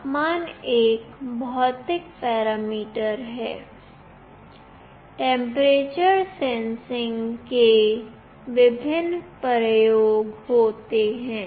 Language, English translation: Hindi, Temperature is a physical parameter; sensing temperature has various applications